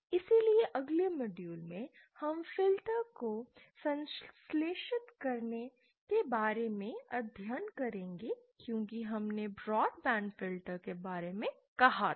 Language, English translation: Hindi, So in the next module we will be studying about synthesizing filters as we said that the broad band filters